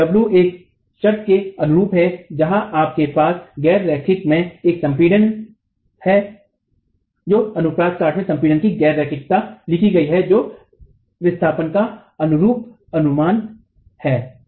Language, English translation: Hindi, So, the W corresponding to a condition where you have compression in non linearity of compression in the cross section is written and the corresponding displacement is estimated